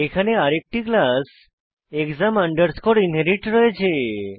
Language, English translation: Bengali, Here we have another class as exam inherit